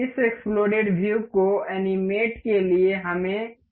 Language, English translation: Hindi, To animate this explode view, we will have to go this assembly